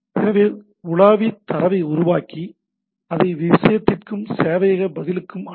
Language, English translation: Tamil, So browser construct the data and send it to the thing and the server response back to the thing